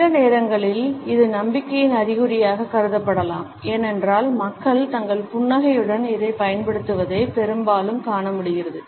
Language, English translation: Tamil, Sometimes it can be treated as an indication of confidence, because most often we find that people use it along with their smile